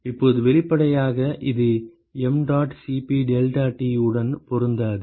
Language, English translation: Tamil, Now obviously, this is not going to match with the mdot Cp deltaT, right